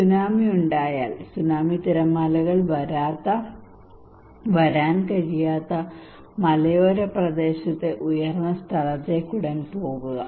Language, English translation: Malayalam, If there is a tsunami, go immediately to the higher place in a mountainous area where tsunami waves cannot come